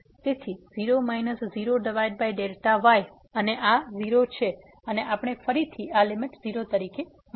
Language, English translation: Gujarati, So, 0 minus 0 over delta and this is 0 and we got again this limit as 0